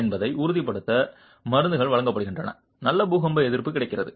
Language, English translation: Tamil, Prescriptions are provided to ensure that good earthquake resistance is available